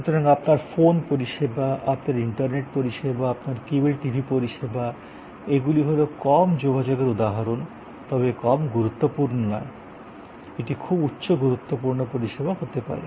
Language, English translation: Bengali, So, your phone service, your internet service, your cable TV service, these are all examples of low contact, but not low importance, it could be very high importance service